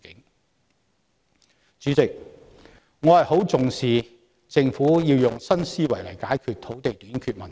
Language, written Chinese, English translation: Cantonese, 代理主席，我很重視政府要用新思維來解決土地短缺問題。, Deputy President I attach great importance to the Governments effort at adopting new thinking to solve the problem of land shortage